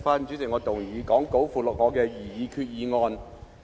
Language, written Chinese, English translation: Cantonese, 主席，我動議載列於講稿附錄的擬議決議案。, President I move my proposed resolution as set out in the Appendix to the Script